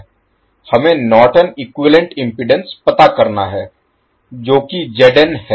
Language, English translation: Hindi, We need to find out value of Norton’s equivalent impedance that is Zn